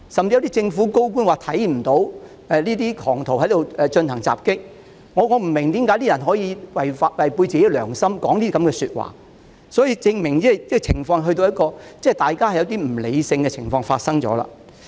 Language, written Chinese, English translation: Cantonese, 有些政府高官甚至說看不到有狂徒進行襲擊，我不明白有些人為何可以違背良心，說出這樣的話，而這證明大家已經出現不理性的情況。, Certain senior government officials even said that they had not seen any attack started by those maniacs . I really cannot understand why some people could speak against their conscience . It is evident that people are growing irrational